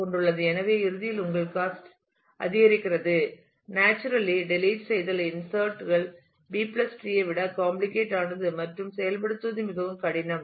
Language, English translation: Tamil, So, eventually your cost increases the naturally the deletions insertions are more complicated than in B + tree and implementation is more difficult